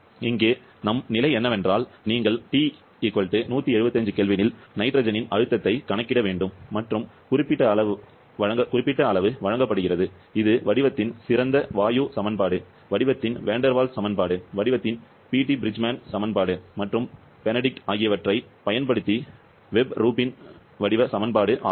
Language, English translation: Tamil, So, here are condition is where you have to calculate the pressure of nitrogen at T = 175 kelvin and specific volume is given, using the ideal gas equation of state, the Vander Waals equation of state, Beattie Bridgeman equation of state and the Benedict Webb Rubin equation of state